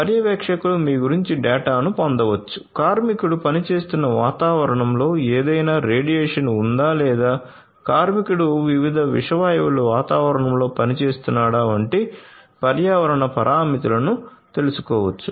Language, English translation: Telugu, So, the supervisors can get data about you know the environmental parameters such as whether there is any radiation in the environment in which the worker is working or whether the worker is working in an environment a with different toxic gases